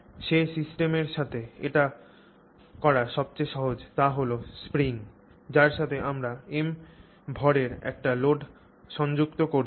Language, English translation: Bengali, So, the system that's easiest to relate to is a spring to which we are attaching a load of mass M